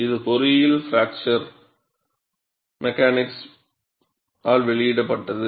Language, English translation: Tamil, This was published in Engineering Fracture Mechanics